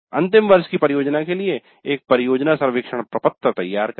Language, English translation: Hindi, Design a project survey form for the final year project